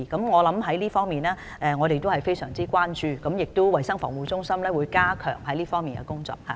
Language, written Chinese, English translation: Cantonese, 我們非常關注這問題，衞生防護中心亦會加強這方面的工作。, We are gravely concerned about this issue and CHP will also step up its work in this regard